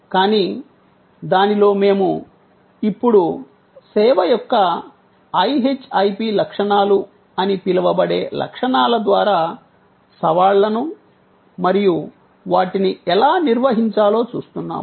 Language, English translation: Telugu, But, within that we are now looking at the challengers post by the characteristics, the so called IHIP characteristics of service and how we manage them